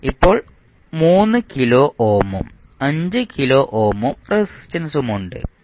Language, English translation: Malayalam, Now, we have 3 kilo ohm and 5 kilo ohm resistances